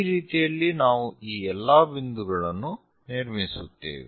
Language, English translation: Kannada, This is the way we construct all these points